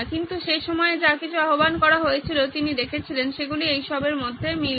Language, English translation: Bengali, But whatever was invoked at the time he saw they were all commonalities between all these